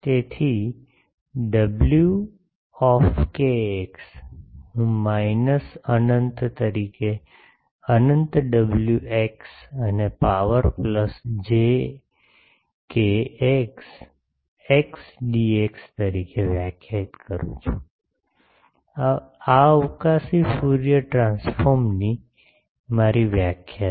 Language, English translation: Gujarati, So, W kx I can define as minus infinity to infinity wx, this is small wx e to the power plus j kx x dx, this is my definition of spatial Fourier transform